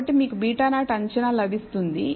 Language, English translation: Telugu, So, you get beta 0 estimated